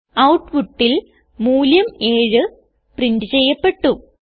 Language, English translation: Malayalam, We see in the output, the value 7 is printed